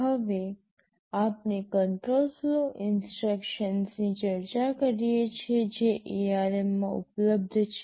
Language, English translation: Gujarati, We now discuss the control flow instructions that are available in ARM